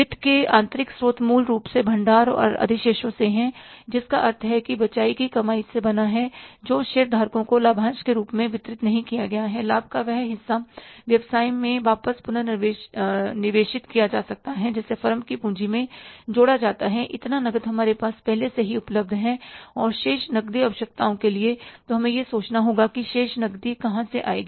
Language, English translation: Hindi, Internal sources of finance are basically from the reserve and surpluses which are made up of the retained earnings, which is not distributed as a dividend to the shareholders, that part of the profit is reinvested back in the business, added up in the capital of the firm, so that much cash is already available with us